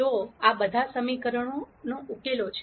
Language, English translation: Gujarati, So, all of these are solutions to these equations